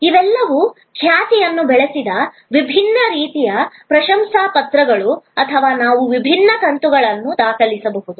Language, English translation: Kannada, These are all different types of testimonial that built reputation or we can record different episodes